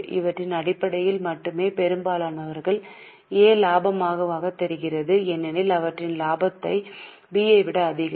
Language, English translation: Tamil, Only on the basis of this, perhaps most will say that A looks profitable because their profit is much more than that of B